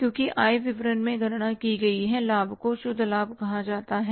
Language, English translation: Hindi, Because profit calculated in the income statement is called as the net profit